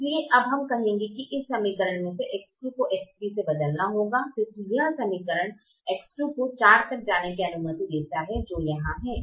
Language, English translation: Hindi, so we will now say that x two will replace x three from this equation, because this equation allows x two to go upto four, which is here, which is here